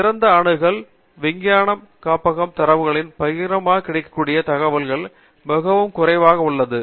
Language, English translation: Tamil, And therefore, open access that is publicly available information from scientific archival data is very limited